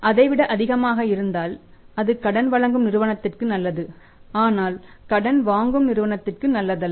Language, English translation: Tamil, And if it is more than that then it is good for the lending firm but not good for the borrowing firm